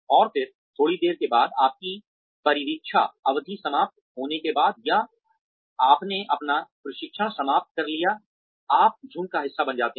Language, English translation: Hindi, And then, after a while, after your probation period is over, or you finished your training, you become part of the flock